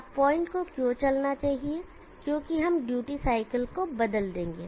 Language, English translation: Hindi, Now why should the point move we will change the duty cycle